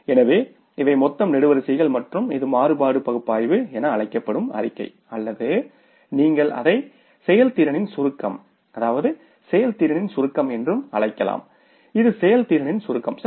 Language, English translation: Tamil, So, these are the total columns and this is the statement which is called as the variance analysis or you can call it as summary of the performance summary of the performance